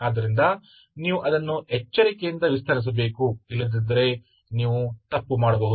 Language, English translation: Kannada, So you have to carefully have to expand it otherwise you may go wrong